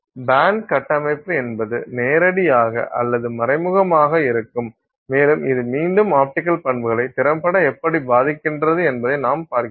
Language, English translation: Tamil, So, the band structure could be direct or indirect and that again impacts how effectively we see the optical property